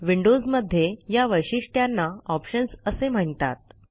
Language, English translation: Marathi, For Windows users, this feature is called Options